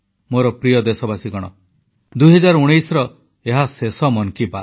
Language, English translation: Odia, My dear countrymen, this is the final episode of "Man ki Baat" in 2019